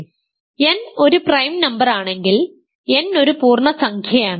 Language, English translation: Malayalam, So, if n is a prime number n is an integer